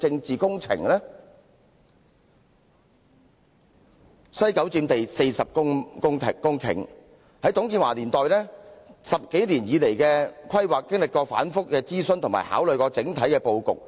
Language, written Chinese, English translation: Cantonese, 西九文化區佔地49公頃，自董建華年代以來，經過10多年規劃，曾進行多次諮詢及整體布局考慮。, WKCD covers an area of 49 hectares . Over a planning period of more than 10 years since TUNG Chee - hwas era various consultation exercises had been conducted and various proposals concerning the general layout had been considered